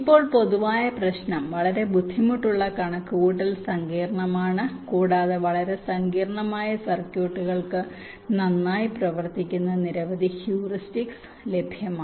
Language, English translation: Malayalam, now the general problem of course is very difficult, computational, complex and many heuristics are available which work pretty well for very complex circuits